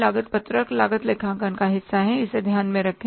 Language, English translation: Hindi, Cost sheet is a part of cost accounting minded